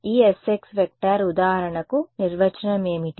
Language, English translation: Telugu, So, E s x for example, what is the definition